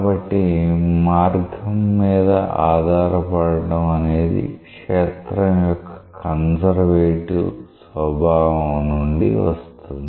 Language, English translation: Telugu, So, that path dependence comes from the conservative nature of the field